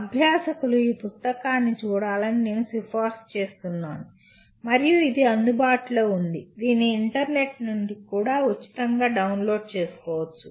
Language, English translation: Telugu, I recommend the learners to have a look at this book and it is available, it can be downloaded from the internet free